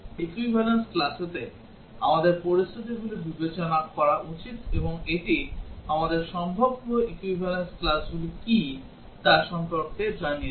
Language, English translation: Bengali, In equivalence class, we need to consider the scenarios and that gives us hint about what are the possible equivalence classes